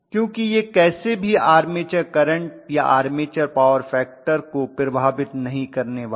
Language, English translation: Hindi, Because anyway it is not going to affect, this is not going to affect the armature current or armature power factor